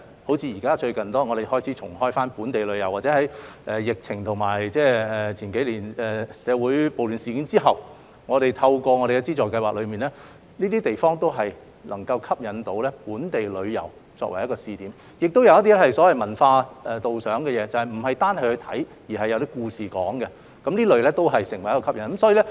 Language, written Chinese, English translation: Cantonese, 香港最近開始重啟本地旅遊，或在數年前的社會暴亂事件後，透過我們的資助計劃，這些地方均能成為吸引本地旅遊的試點，加上一些文化導賞活動，不單包含觀賞元素，亦有故事敍述，使這類景點成為吸引人的地方。, We have recently allowed local tours to resume in Hong Kong . After the social unrest a few years ago we have launched subsidy schemes to transform on a pilot basis these places into attractions for local tours . These tours are often combined with guided visits so that apart from sightseeing participants will also know the story behind